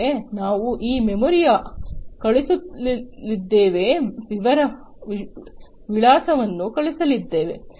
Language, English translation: Kannada, So, first of all we are going to send this memory is going to send the address